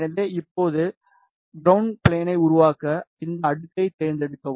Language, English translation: Tamil, So, now, to make ground plane just select this layer